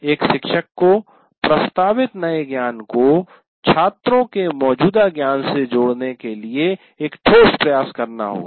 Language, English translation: Hindi, So a teacher will have to make a very strong attempt to link the proposed new knowledge to the existing knowledge of the students